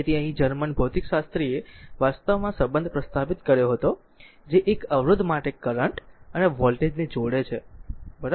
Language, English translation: Gujarati, So, here German physicist actually who established the relationship between the current and voltage for a resistor, right